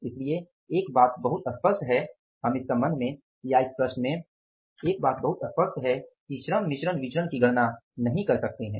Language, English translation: Hindi, So, one thing is very clear that we cannot calculate the labor mix variance in this regard or in this problem